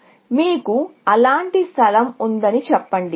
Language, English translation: Telugu, So, let us say, you have some such place